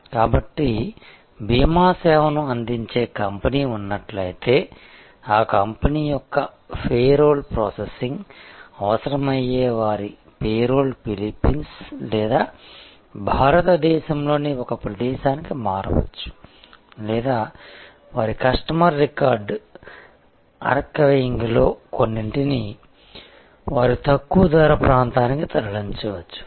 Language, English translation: Telugu, So, if there was a company providing insurance service, their payroll which was needed processing of the payroll of that company could shift to a location in Philippines or India or some of their customer record archiving could be moved to their lower cost area